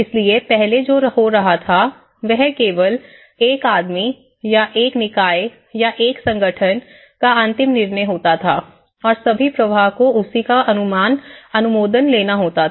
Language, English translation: Hindi, So that what we do is earlier it was all one man’s decision and one body’s decision or one organization’s final decision and all the flow has to take an approval of that so that is how it used to do